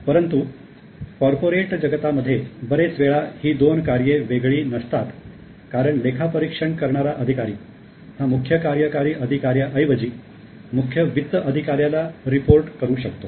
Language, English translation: Marathi, However, in the corporate world, many times these functions may not be that much separate because audit executives may still report to CFO rather than directly to CEO